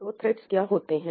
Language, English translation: Hindi, So, what are threads